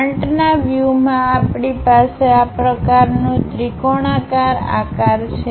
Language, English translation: Gujarati, In the front view, we have such kind of triangular shape